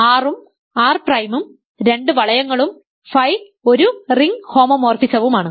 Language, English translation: Malayalam, So, R and R prime are two rings and phi is a ring homomorphism